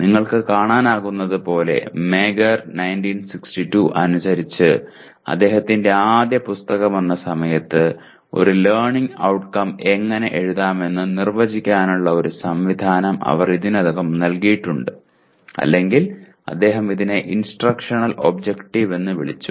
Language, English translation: Malayalam, As you can see as per Mager 1962 where his first book came; they already gave a mechanism of defining how to write a learning outcome or he called it instructional objective